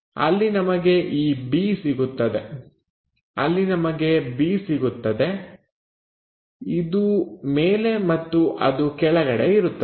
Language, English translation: Kannada, So, there we will have this b, there we will have b, it comes top and bottom switches